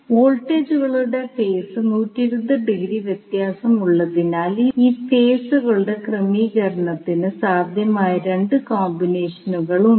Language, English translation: Malayalam, So, now, since the voltages are 120 degree out of phase, there are 2 possible combinations for the arrangement of these phases